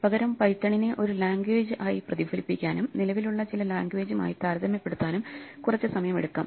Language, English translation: Malayalam, Let us take some time instead to reflect about Python as a language and compare it to some of the other languages which exist